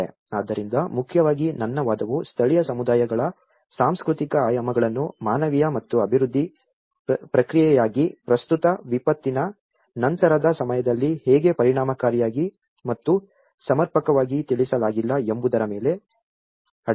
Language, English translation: Kannada, So, mainly my argument lies on how the cultural dimensions of the local communities are not effectively and sufficiently addressed in the current post disaster for humanitarian and development process